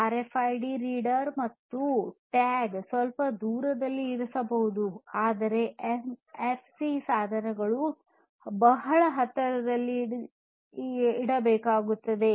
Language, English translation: Kannada, RFID devices you know the reader and the tag you can keep little bit separated, but here NFC basically devices will have to be kept in very close proximity, right